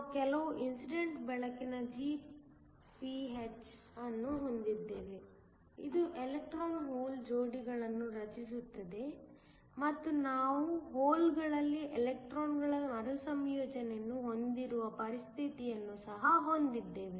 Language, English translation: Kannada, We also have some incident light Gph, which creates electron hole pairs and we also have a situation where we have recombination of electrons in holes